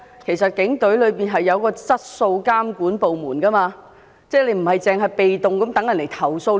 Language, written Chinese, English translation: Cantonese, 然而，警隊設有質素監管部門，不應被動地等到接獲投訴才做事。, However with a service control department in place the Police should not have been so passive as to remain idle until complaints are lodged